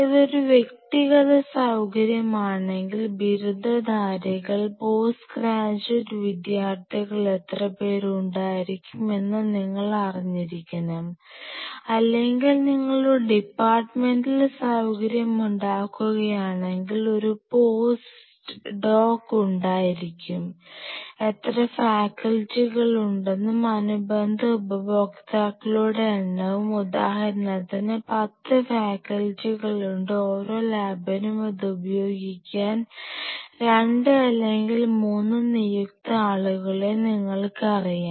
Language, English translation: Malayalam, If it is a individual facility you should know how many say under graduate, post graduate students will be having or a post doc will be having if you are making it departmental facility you should have a rough number of how many faculties you will have and their corresponding numbers of users see for example, there are 10 faculties and each lab has like you know 2 or 3 designated people to use it